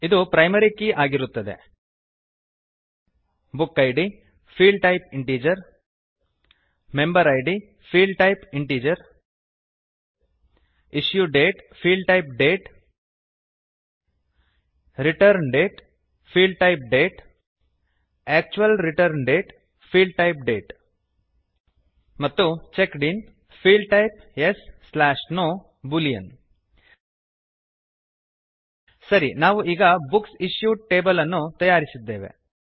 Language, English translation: Kannada, which will be the primary key Book Id,Field type,Integer Member Id ,Field type,Integer Issue Date,Field type,Date Return Date,Field type,Date Actual Return Date,Field type,Date And Checked In,Field type Yes/No Boolean Okay, we have created the Books Issued table, And now let us add the following sample data into it as you can see on the screen